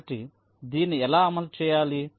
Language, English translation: Telugu, so how do implement this